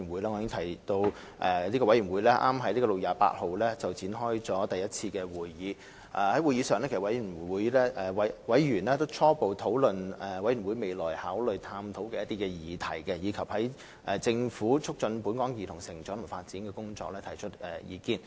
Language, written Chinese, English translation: Cantonese, 我已提及，委員會剛在6月28日召開第一次會議，而在會議上，委員初步討論了委員會未來可考慮探討的議題，以及就政府促進本港兒童成長及發展的工作提出意見。, As I have said the Commission held its first meeting just on 28 June . At the meeting its members held initial discussion on the issues that might be considered by the Commission in the future while also putting forth views on the Governments efforts for fostering the growth and development of local children